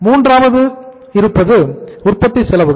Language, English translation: Tamil, These are the manufacturing expenses